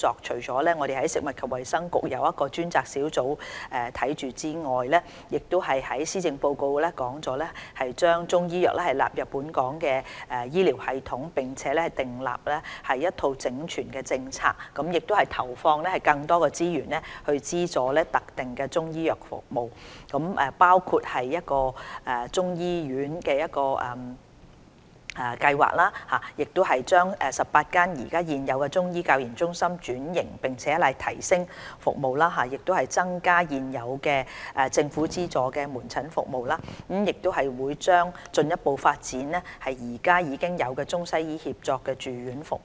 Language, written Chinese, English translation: Cantonese, 除了食物及衞生局轄下成立專責發展中醫藥的組別外，施政報告亦提出把中醫藥納入本港醫療系統，並訂立一套整全的政策，投放更多資源，資助特定的中醫藥服務，包括中醫醫院的計劃；把18間現有的中醫教研中心轉型並提升服務，增加政府資助的門診服務；以及將進一步發展醫院管理局醫院現有的中西醫協作住院服務。, Apart from the setting up of a dedicated group for the development of Chinese medicine the Policy Address has suggested incorporating Chinese medicine into the health care system in Hong Kong . Also suggested are the formulation of a holistic Chinese medicine policy allocation of more resources to subsidize selected Chinese medicine services including a plan for Chinese medicine hospital the transformation and service upgrading of the 18 Chinese Medicine Centres for Training and Research to increase the provision of government - subsidized outpatient services and the further development of government - subsidized inpatient services providing Integrated Chinese - Western Medicine treatment in defined hospitals under the Hospital Authority HA